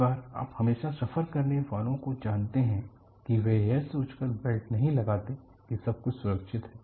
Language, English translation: Hindi, Many times the frequent flyers they will not put the belt thinking that everything is safe